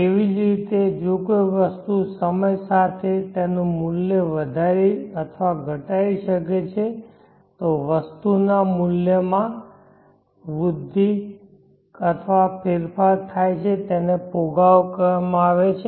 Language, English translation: Gujarati, Likewise an item also with time its value then increase or decrease there is growth or change in the value of the item and it is called inflation